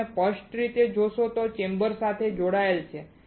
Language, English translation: Gujarati, If you see clearly, it is connected to the chamber